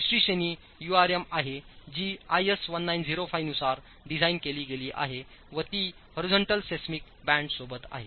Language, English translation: Marathi, The second category is URM again designed as per I is 1905 with horizontal seismic bands